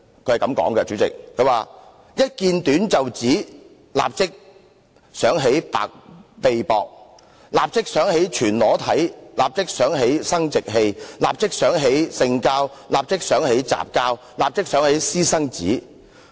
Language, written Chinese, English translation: Cantonese, 文章是這樣說的："一見短袖子，立刻想到白臂膊，立刻想到全裸體，立刻想到生殖器，立刻想到性交，立刻想到雜交，立刻想到私生子。, In this he wrote The sight of womens short sleeves at once makes them think of bare arms of the naked body of the genitals of copulation of promiscuity and of bastards